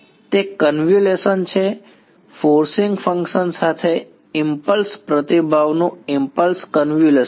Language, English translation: Gujarati, It is the convolution its the impulse convolution of impulse response with the forcing function right